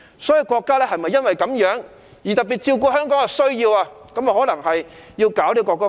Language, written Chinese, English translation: Cantonese, 所以，國家可能因此特別照顧香港的需要，制定國歌法。, For this reason the Central Authorities had perhaps enacted the national anthem law having particular regard to the needs of Hong Kong